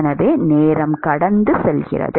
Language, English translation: Tamil, So, as time passes by